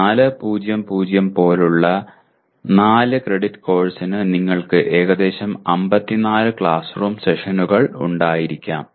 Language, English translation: Malayalam, And for a 4 credit course like 4:0:0 you are likely to have about 54 classroom sessions